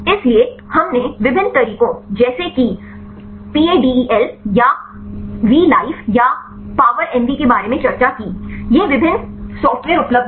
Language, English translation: Hindi, So, we discussed about the different methods like paDEL or the Vlife or the power MV; these are the various is software available